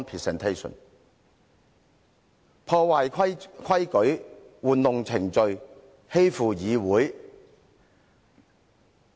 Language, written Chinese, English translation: Cantonese, 政府破壞規矩，玩弄程序，欺負議會。, The Government breaks the rule manipulates the procedure and bullies the Council